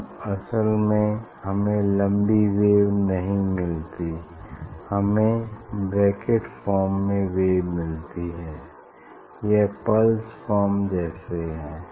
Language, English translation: Hindi, then it is actually we do not get wave long wave we get wave in bracket form; it is like pulse form